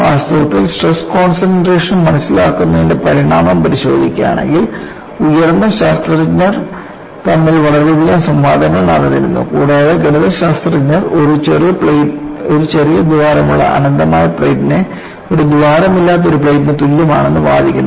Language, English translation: Malayalam, In fact, if you look at the evolution of understanding of stress concentration, there were very many debates between scientist of all order, and mathematicians were arguing an infinite platewith a small hole is equivalent to a plate without a hole